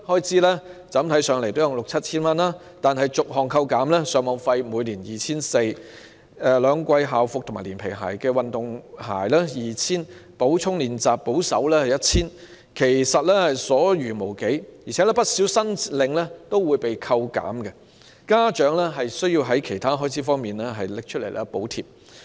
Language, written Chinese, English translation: Cantonese, 這筆款項看來也有六七千元，但逐項扣減後，例如上網費每年 2,400 元，兩季校服連皮鞋、運動鞋 2,000 元、補充練習保守估計也需要 1,000 元，其實已所餘無幾，而且不少申領款項均會被扣減，家長需要以其他開支補貼。, While such a grant appears to amount to a sum of 6,000 or 7,000 not much is left when it is spent on various items such as Internet charges of 2,400 per year school uniforms for two seasons as well as leather shoes and sports shoes of 2,000 and supplementary exercises of 1,000 based on a conservative estimate . What is more many items of the grant claimed would be deducted and parents have to make up for the shortfall with their budget for other expenses